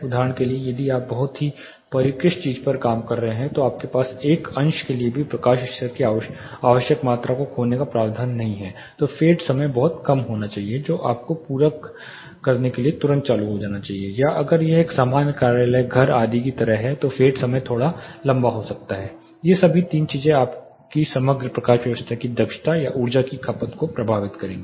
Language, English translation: Hindi, For example, if you are working on a very sophisticated thing you do not have the provision to lose even for a fraction of second the required amount of light level then the fade time should be very low which should immediately turn on to supplementive or if it is like a general office worker household things the fade time can be slightly longer it these all these 3 thinks, will affect your efficiency or energy consumption of your overall lighting system